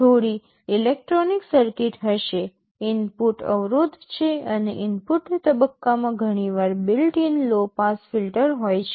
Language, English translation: Gujarati, There will be some electronic circuit, there is input impedance and there is often a built in low pass filter in the input stage